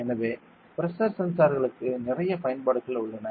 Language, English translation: Tamil, So, a lot of applications are there for pressure sensors